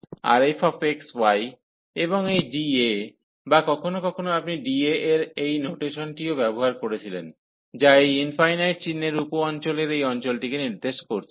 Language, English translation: Bengali, And f x, y and this d A or sometimes you also used the notation sheet of d A, which is representing this area of this infinite symbol sub region